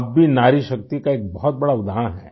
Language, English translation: Hindi, You too are a very big example of woman power